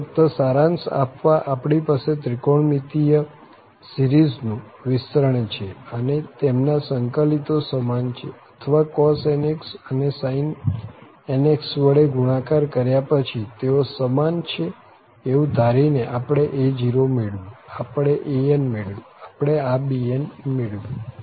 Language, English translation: Gujarati, Well so, just to summarize we have the trigonometric series expansion and we got the a0, we got an, and we got this bn by assuming that their integrals are equal or after multiplication of cos nx and sin nx, they are equal